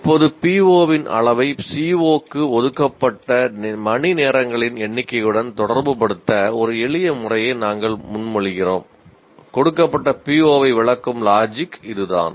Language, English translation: Tamil, Now we propose a simple method to relate the level of PO with the number of hours devoted to the CO which addresses the given PO